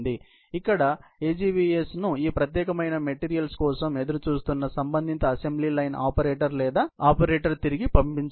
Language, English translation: Telugu, So, here the AGVS has to be dispatched back by the concerned assembly line operator or the operator, who is waiting for these particular materials